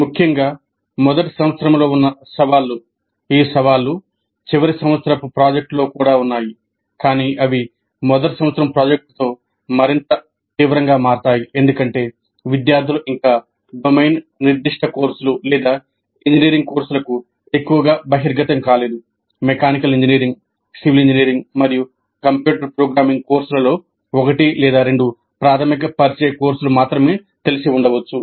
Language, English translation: Telugu, The challenges which are present particularly in first year, these challenges exist even in final year project, but they become more severe with first year project because the students as it are not yet exposed to domain specific courses or engineering courses, much, maybe one or two elementary introductory courses in mechanical engineering, civil engineering, and a computer programming course